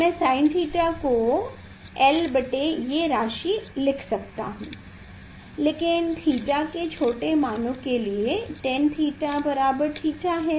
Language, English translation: Hindi, I sin theta I can write this l by this one, but if theta is small sin theta is equal to tan theta is equal to theta